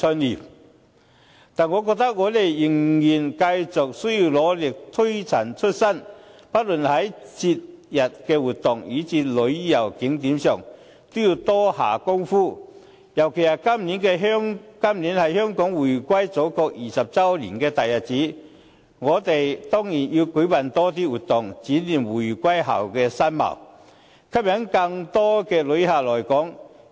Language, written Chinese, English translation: Cantonese, 然而，我覺得我們仍然需要繼續努力、推陳出新，不論在節日活動以至旅遊景點上都要多下工夫。尤其今年是香港回歸祖國20周年的大日子，我們當然要舉辦更多活動，展現回歸後的新貌，吸引更多旅客來港。, Nevertheless I think we still have to work hard and be innovative no matter in festive activities or tourist attractions particularly when this year marked the 20 anniversary of Hong Kongs reunification with the Mainland and we of course have to organize more activities to articulate the new image of Hong Kong after reunification and to attract more inbound tourists